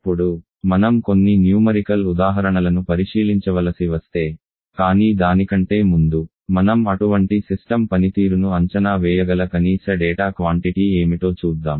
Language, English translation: Telugu, Now, if we have to check out if you numerical examples but before that let us see what are the minimum quantity of data that with which we can evaluate the performance of such a system